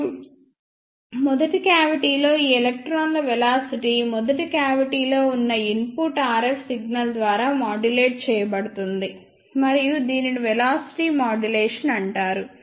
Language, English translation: Telugu, And in the first cavity the velocity of these electrons will be modulated by the input RF signal present there in the first cavity